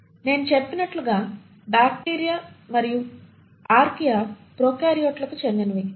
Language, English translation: Telugu, As I said bacteria and Archaea belong to prokaryotes, right